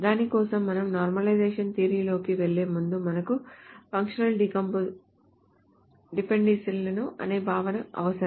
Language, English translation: Telugu, For that, before we go into the normalization theory, we require the concept of something called functional dependencies